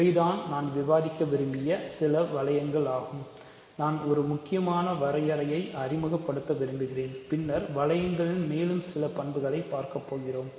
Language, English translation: Tamil, So, these are some of the rings that I wanted to discuss, I want introduce one important definition and then we will look at more properties of rings